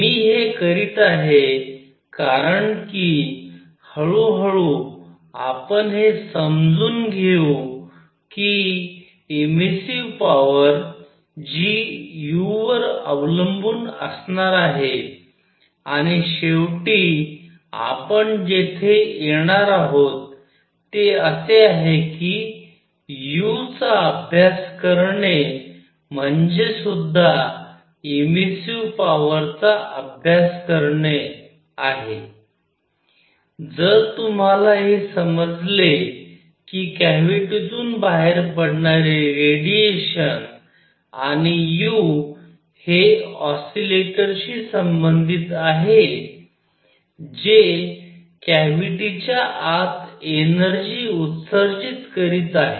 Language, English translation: Marathi, Why I am doing that is; slowly we will build up that the immersive power which will depend on u, and finally what we are going come is study u that is as good as studying the immersive power if you are going to understand the radiation coming out the cavity and u would be related to oscillators that are emitting energy inside the cavity